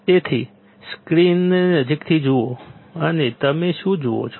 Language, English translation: Gujarati, So, have a closer look at the screen and what you see